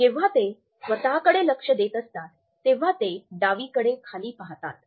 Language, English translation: Marathi, When they are taking to themselves they look down onto the left